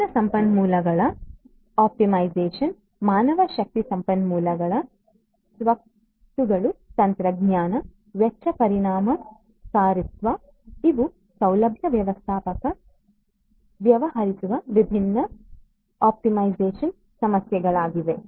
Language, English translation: Kannada, Optimization of different resources manpower resources, assets, technology, cost effectiveness these are also different optimization issues that a facility manager deals with